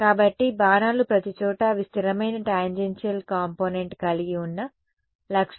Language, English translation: Telugu, So, arrows, arrows, arrows everywhere right with the property that they were they had constant tangential component